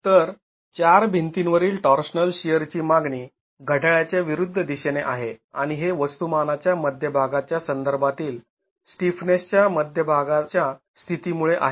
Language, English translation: Marathi, So, the demand torsional shear on the four walls is in the anti clockwise direction and this is because of the positioning of the center of stiffness with respect to the center of mass